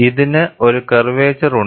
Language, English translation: Malayalam, It is having a curvature